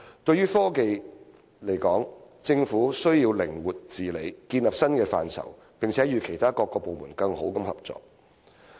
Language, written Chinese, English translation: Cantonese, 對於科學技術來說，政府需要靈活治理，建立新的規範，並且與其他各部門更好地合作。, When it comes to science and technology the Government needs to govern flexibly establish new norms and cooperate better with other bodies